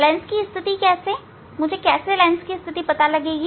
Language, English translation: Hindi, For that position of the lens how, how I will find out the position of the lens